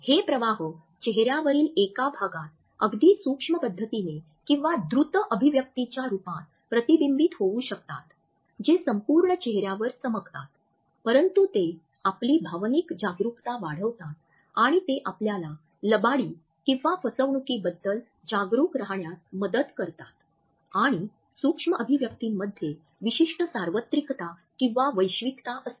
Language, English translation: Marathi, These leakages may be reflected in one region of the face in a highly subtle manner or in the form of a very quick expression which has been flashed across the whole face, but they increase our emotional awareness and they help us in becoming aware of lies and deceptions as unlike verbal quotes we find that micro expressions have certain universalities